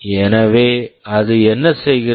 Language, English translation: Tamil, So, what it does